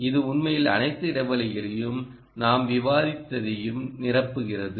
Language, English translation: Tamil, it really fills up all the gaps and what we discussed